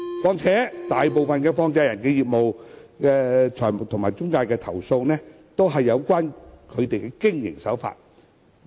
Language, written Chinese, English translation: Cantonese, 況且，大部分有關放債人及財務中介的投訴，均關乎它們的經營手法。, Furthermore the complaints against money lenders and financial intermediaries mostly have to do with their business practices